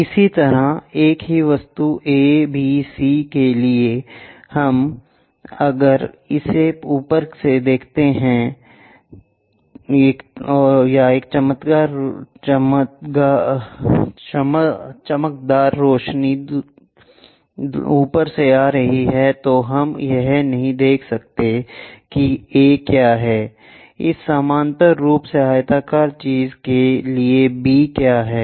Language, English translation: Hindi, Similarly, for the same object A, B, C, if we are going to view it from top or a shining light is coming from top, we cannot see what is A, what is B for this parallelepiped rectangular thing